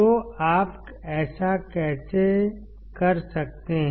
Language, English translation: Hindi, So, how can you do that